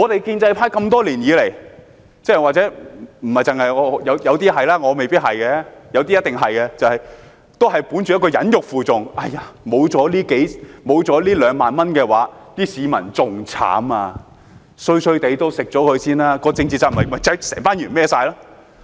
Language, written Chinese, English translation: Cantonese, 建制派多年來——或許有些是，我未必是，有些一定是——本着一種忍辱負重的態度，說沒有了這2萬元，市民會更慘，雖然不太好也先接受，而政治責任便由議員承擔了。, Over the years pro - establishment Members―maybe some of them not necessarily myself but definitely some of them―have been holding the attitude of enduring humiliation for a great cause . For the time being they would thus accept the ceiling of 20,000 albeit unsatisfactory saying that the public would be even worse off without it